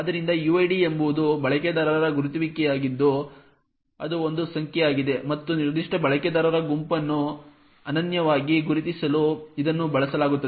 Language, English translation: Kannada, So uid is the user identifier it is a number and it is used to uniquely identify that particular user group